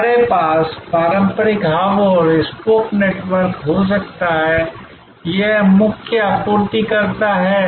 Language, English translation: Hindi, We can have the traditional hub and spoke network, this is the core supplier